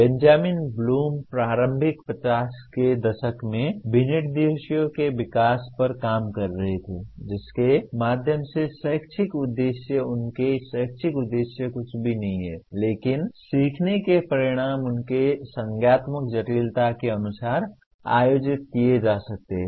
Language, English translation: Hindi, Benjamin Bloom was working in early ‘50s on the development of specifications through which educational objectives, his educational objectives are nothing but learning outcomes, could be organized according to their cognitive complexity